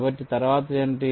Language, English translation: Telugu, so what next